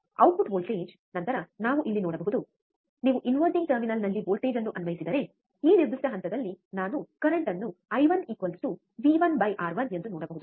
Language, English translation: Kannada, Output voltage, then we can see here, right that if you apply voltage at the inverting terminal, you can see that I the current at this particular point I 1 would be V 1 by R 1, right